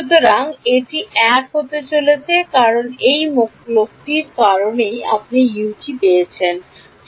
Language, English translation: Bengali, So, it is going to be 1 because of this guy right that is the one that is going to get U 1